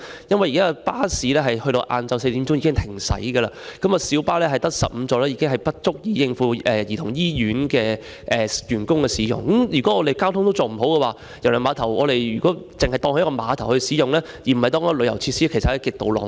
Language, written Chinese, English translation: Cantonese, 因為現時的巴士在下午4時已經停駛，而只有16座的小巴是不足以應付香港兒童醫院的員工使用，如果我們連交通安排也做不好，只把郵輪碼頭作為碼頭使用，而不是旅遊設施，其實是極度浪費。, At present the bus services there will be suspended at 4col00 pm and the 16 - seated minibus service which is the only transportation service available after that time is not even adequate to cater for the needs of staff members of the Hong Kong Childrens Hospital . If we cannot even provide adequate transportation services and use KTCT only as a cruise terminal but not a tourism facility it is actually extremely wasteful